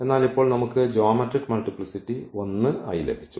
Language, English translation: Malayalam, So, the geometric multiplicity is also 2 in this case